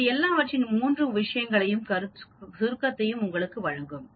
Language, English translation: Tamil, It will give you the summation of all these three things